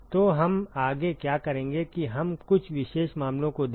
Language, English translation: Hindi, So, what we will do next is we look at some special cases